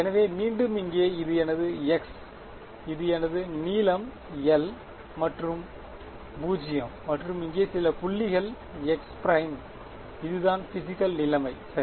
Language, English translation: Tamil, So, again over here this is my x, this is my the length l this is 0 and some point over here is x prime that is the physical situation ok